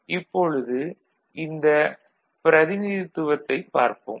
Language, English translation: Tamil, So, you look at this any presentation